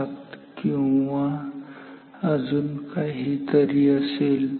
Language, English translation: Marathi, 707 or so